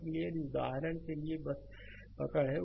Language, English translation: Hindi, So, if you have for example, just hold on